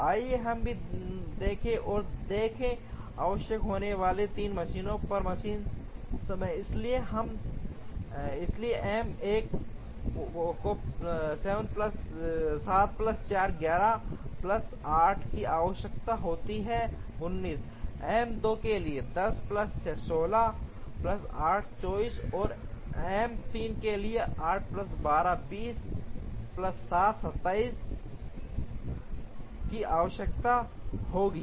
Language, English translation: Hindi, Let us also try and look at machine times on the 3 machines that are required, so M 1 requires 7 plus 4, 11 plus 8, 19, M 2 requires 10 plus 6, 16 plus 8, 24, and M 3 requires 8 plus 12, 20 plus 7, 27